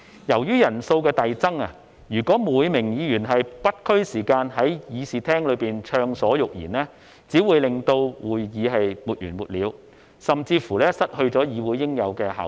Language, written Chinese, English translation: Cantonese, 由於人數的遞增，如果每名議員也沒有時限在議事廳暢所欲言，只會令會議沒完沒了，甚至失去議會應有的效率。, With an increase in the number of Members if all Members are allowed to speak freely in the Chamber without any time limit the meeting cannot end and the legislature concerned cannot operate efficiently in a way it should